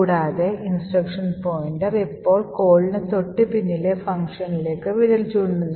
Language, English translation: Malayalam, The instruction pointer now is pointing to this call instruction